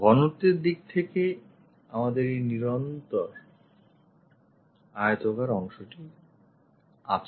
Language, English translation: Bengali, In terms of thickness, we will have this continuous rectangular portion